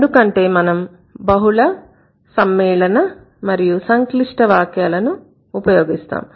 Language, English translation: Telugu, So, we do use multiple complex and compound sentences